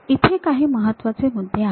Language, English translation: Marathi, There are important points